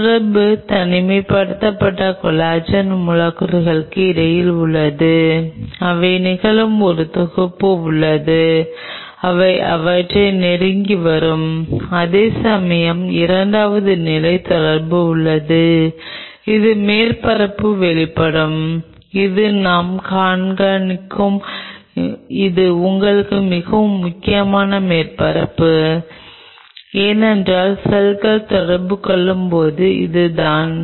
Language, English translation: Tamil, There will be 2 level of interaction; one interaction you have to make made happen is between the individual collagen molecules there is one set of interaction which will be happening that will bring them close whereas, there is a second level of interaction which is the surface which is exposed which I am showing like this is the surface which is very important for you because this is where the cells are going to interact